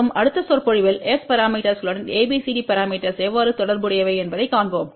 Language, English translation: Tamil, Today we are going to talk about ABCD and S parameters